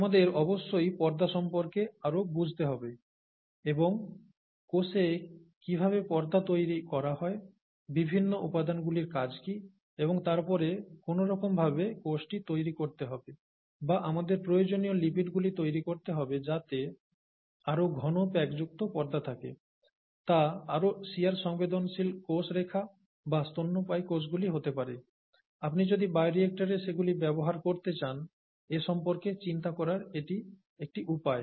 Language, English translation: Bengali, We need to understand, of course more about membranes and how are membranes made in the cell and so on and so forth, what are the functions of the various components, and then somehow make the cell to make or to generate the kind of lipids that we need to have a more densely packed membrane, and therefore more shear sensitive cell lines, or mammalian cells, maybe, okay, if you are going to use them in the bioreactor, right